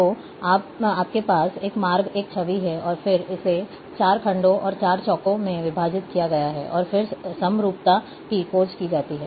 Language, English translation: Hindi, So, you are having one route, one image, and then it is divided into 4 sections and 4 quadrants, and then homogeneity is searched